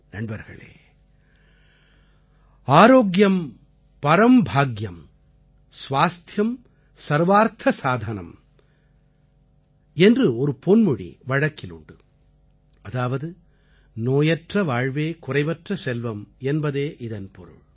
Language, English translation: Tamil, Friends, we are familiar with our adage "Aarogyam Param Bhagyam, Swasthyam Sarwaarth Sadhanam" which means good health is the greatest fortune